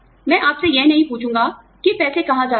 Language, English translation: Hindi, I would not ask you, where the money is going